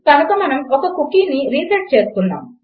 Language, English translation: Telugu, So we are resetting a cookie